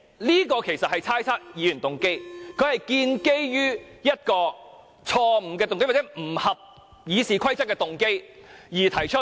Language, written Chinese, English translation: Cantonese, 這其實是猜測議員動機，他建基於一個錯誤的動機，或者不合乎《議事規則》的動機而提出。, He is in fact speculating on the motive of other Members or is based on a wrong motive or a motive not in line with the Rules of Procedure in moving this motion